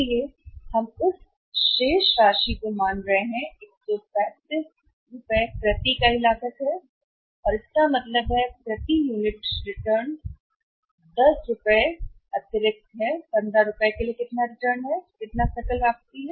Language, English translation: Hindi, So, we are assuming that remaining amount that 135 is a cost per unit and that is 135 so it means return per unit is extra 10 per unit is how much return for unit rupees 15, return per unit is 15 and how much is a gross return